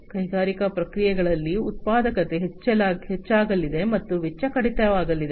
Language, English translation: Kannada, So, there is going to be increased productivity in the industrial processes, and cost reduction